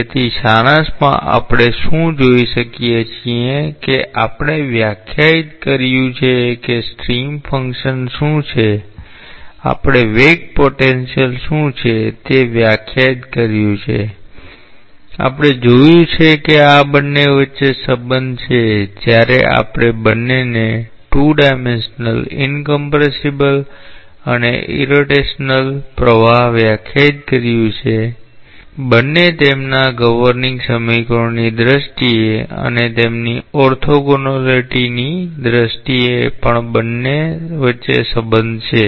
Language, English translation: Gujarati, So, in summary what we can see, that we have defined what is the stream function, we have defined what is the velocity potential, we have seen that there is a relationship between these two when we have both defined that is 2 dimensional incompressible irrotational flow and both in terms of their governing equations and also in terms of their orthogonality